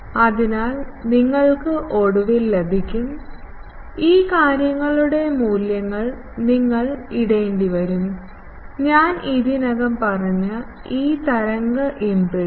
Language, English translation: Malayalam, So, you do this you will get finally, you will have to put those things values of this y w, this wave impedance that I have already told